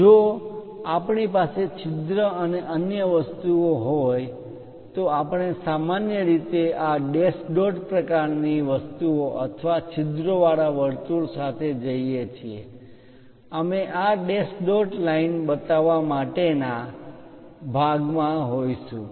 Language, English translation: Gujarati, If we have hole and other things, we usually go with this dash dot kind of things or a circle with holes also we will be in a portion to show this dash dot lines